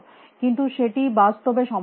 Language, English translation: Bengali, But that is not really possible